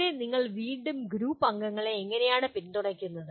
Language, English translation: Malayalam, This is where once again how do you support the group members